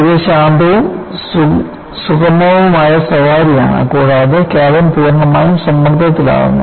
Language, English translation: Malayalam, The advantage is it is a quiet and smooth ride, and the cabin is fully pressurized